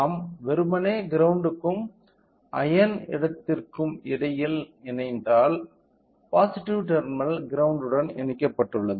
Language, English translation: Tamil, So, if we simply connected between the ground and ion place which means, that the positive terminal is connected to the ground